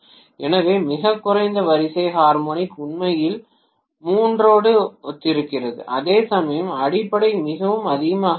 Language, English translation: Tamil, So lowest order harmonic is actually corresponding to third, whereas fundamental of course is very much present